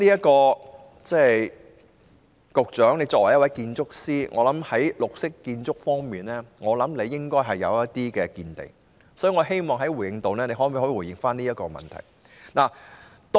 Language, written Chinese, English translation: Cantonese, 局長作為建築師，我相信他在綠色建築方面應該有一些見地，所以我希望局長在回應時回答這問題。, I believe that the Secretary as an architect should have some insight in green buildings so I hope he answers this question in his response